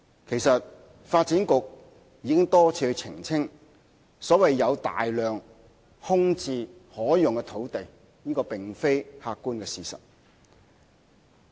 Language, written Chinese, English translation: Cantonese, 其實，發展局已多次澄清，所謂"有大量空置可用的土地"並非客觀的事實。, In fact the Development Bureau has repeatedly clarified that the saying that there are large quantities of vacant land lots that are usable is not based on objective facts